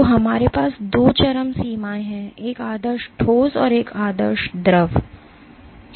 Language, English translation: Hindi, So, we have two extremes an ideal solid and an ideal fluid ok